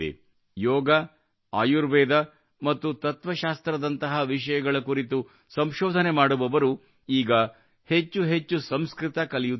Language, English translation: Kannada, People doing research on subjects like Yoga, Ayurveda and philosophy are now learning Sanskrit more and more